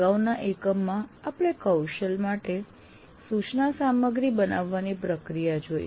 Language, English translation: Gujarati, In the previous one, we understood a process for creating instruction material for a competency